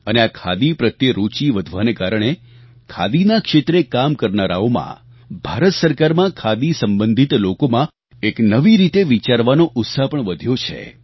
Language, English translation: Gujarati, The increasing interest in Khadi has infused a new thinking in those working in the Khadi sector as well as those connected, in any way, with Khadi